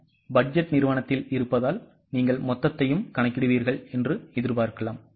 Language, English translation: Tamil, Since we are in the budgeting, company would expect you to calculate total as well